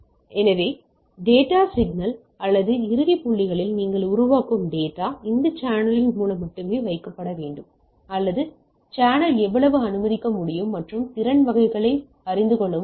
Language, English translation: Tamil, So, your data signal or the data which you are generating at the at the end points, should be able to put through this channel only right or I need to know that how much the channel can allow and capacity type of things right